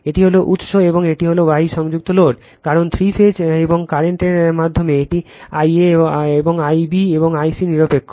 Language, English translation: Bengali, This is the source, and this is the star connected load, because in three phase right and current through this it is I a, this I b, and I c is neutral